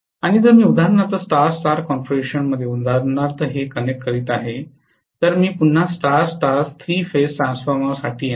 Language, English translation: Marathi, And if I am connecting for example this in star star configuration for example, so I am going to have again for the star star three phase transformer